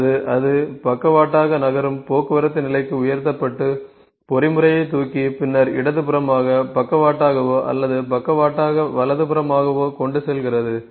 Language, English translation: Tamil, Or it is lift it on to a literally moving transport level, by lifting mechanism and then conveyer literally to the left or literally to the right